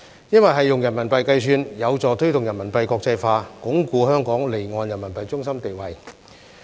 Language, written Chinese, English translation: Cantonese, 因為是用人民幣計算，有助推動人民幣國際化，鞏固香港離岸人民幣中心的地位。, The RMB denomination will help promote RMB internationalization and strengthen Hong Kongs status as an offshore RMB centre